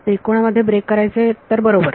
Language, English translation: Marathi, Break into triangles so right